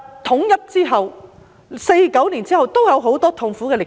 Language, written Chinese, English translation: Cantonese, 統一後，在1949年後也有很多痛苦的歷史。, Upon the unification of China there was a lot of painful experience in history after 1949